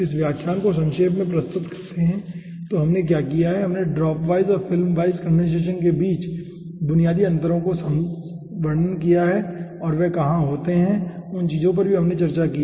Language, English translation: Hindi, so to summarize this lecture, what we have done, we have described the basic differences between dropwise and filmwise condensation and where those occurs, those things we have discussed